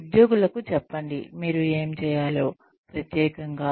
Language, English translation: Telugu, Tell employees, what you need them to do, very specifically